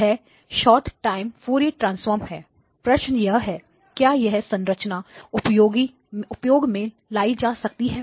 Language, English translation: Hindi, Short time Fourier transform, the question is, is this a structure that is used for